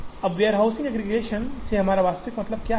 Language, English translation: Hindi, Now, what exactly do we mean by warehouse aggregation